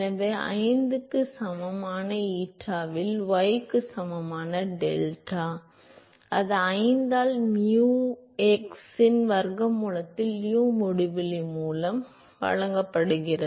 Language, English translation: Tamil, So, therefore, delta equal to y at eta equal to 5, that is given by 5 into square root of nu x by uinfinity